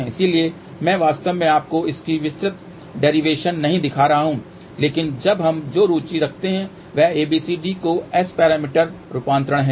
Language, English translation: Hindi, So, I am not actually showing you the detailed derivation of that but what we are interested now, is ABCD to S parameter conversion